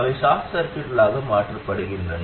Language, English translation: Tamil, They are replaced by short circuits